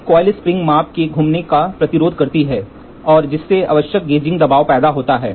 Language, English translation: Hindi, A coiled spring resists the measurement moment and thereby applied the necessary gauging pressure